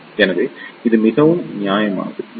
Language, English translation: Tamil, So, it is fairly good